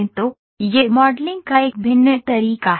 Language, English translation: Hindi, So, this is a variant method of modeling